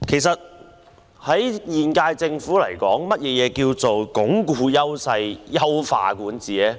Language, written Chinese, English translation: Cantonese, 對現屆政府而言，何謂"鞏固優勢、優化管治"呢？, For the current - term Government what is meant by Reinforcing Strengths Enhancing Governance?